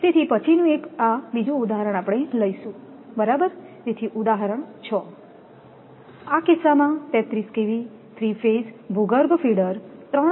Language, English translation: Gujarati, So, next one is; this another example we will take right, so example 6: Right in this case a 33 kV, 3 phase underground feeder 3